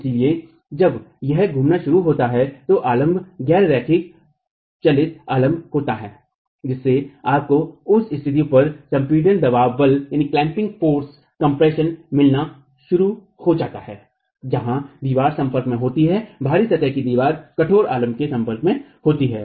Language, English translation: Hindi, So, when it starts rotating, since the supports are non moving supports, you start getting clamping forces compression at the locations where the wall is in contact, the out of plane wall is in contact with the rigid supports